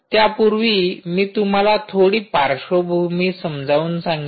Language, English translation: Marathi, so let me give you a little bit of a background